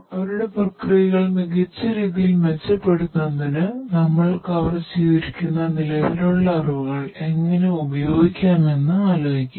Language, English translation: Malayalam, How you could use those existing knowledge that we have covered, we have taught you in the previous lectures how you could use them in order to improve their processes better